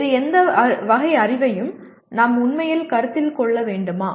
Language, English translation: Tamil, Should we really consider any other category of knowledge